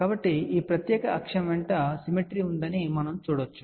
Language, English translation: Telugu, So, we can see that there is a symmetry along this particular axis